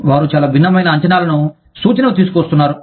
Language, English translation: Telugu, They are bringing, very different expectations, to the table